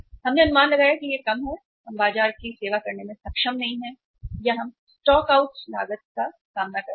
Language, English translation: Hindi, We estimated it lesser and we are not able to serve the market or we are facing the stock out cost